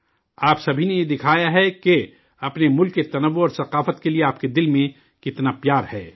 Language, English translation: Urdu, You all have shown how much love you have for the diversity and culture of your country